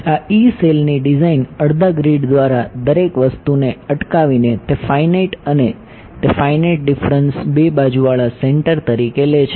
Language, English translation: Gujarati, The design of this e cell by staggering everything by half a grid those finite and those taking finite difference as two sided center right